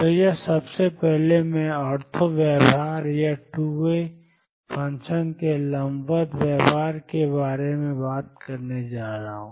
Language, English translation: Hindi, So, this first I am going to talk about of the ortho behavior or the perpendicular behavior of the 2 way function